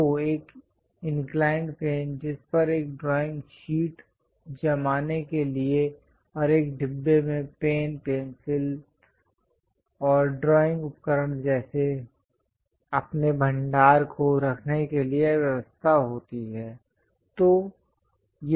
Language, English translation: Hindi, So, an inclined plane on which one will be going to fix a drawing sheet and a compartment to keep your reserves like pen, pencils, and drawing equipment